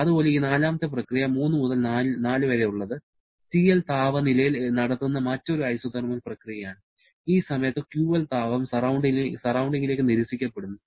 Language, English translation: Malayalam, Similarly, this fourth process 3 to 4 is another isothermal process performed at the temperature TL during which QL amount of heat is rejected to the surrounding